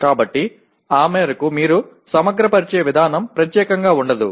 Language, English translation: Telugu, So to that extent the way you aggregate is not necessarily unique